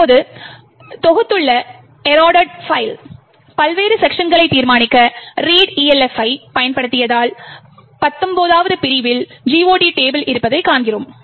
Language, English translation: Tamil, If we use readelf to determine the various sections of the eroded file that we have just compiled, we see that the 19th section has the GOT table